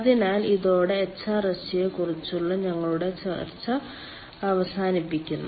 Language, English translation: Malayalam, so with this we come to an end ah of our discussion on hrsg